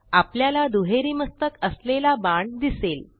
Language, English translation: Marathi, We see a double headed arrow